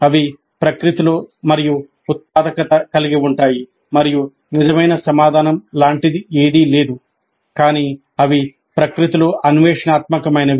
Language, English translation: Telugu, So they are more generative in nature and there is nothing like a true answer but they are exploratory in nature